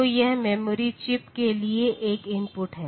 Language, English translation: Hindi, So, this is an input to the memory chip